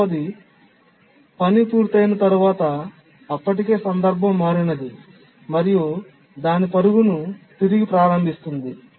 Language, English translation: Telugu, And the second on completion of the task, the one that was already context switched resumes its run